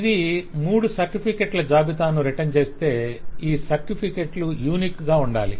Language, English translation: Telugu, so if it returns a list of three certificates, then these 3 certificates will have to be unique